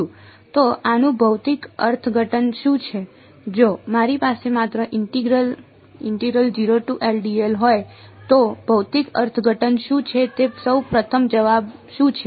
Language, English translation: Gujarati, So, what is the physical interpretation of this if I just have integral 0 to d l what is the physical interpretation what is the answer first of all